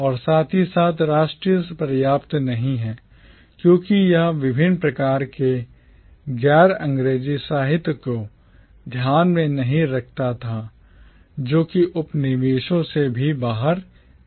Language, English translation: Hindi, And simultaneously not national enough because it was not taking into account the various kinds of non English literature that was also emerging out of the colonies